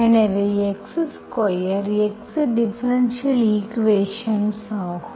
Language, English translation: Tamil, So x square, x square goes, this is what is your differential equation